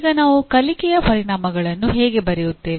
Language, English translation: Kannada, Now how do we write the outcomes of courses